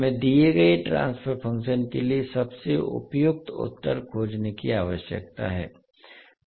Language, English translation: Hindi, So we need to find out the most suitable answer for given transfer function